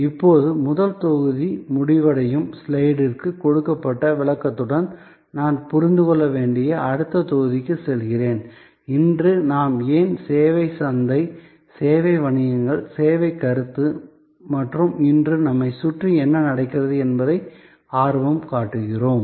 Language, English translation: Tamil, And now, with the explanation given to the first module ending slide, I am moving to the next module which is to understand, why today we are so interested in service market, service businesses, the service concept and what is happening around us today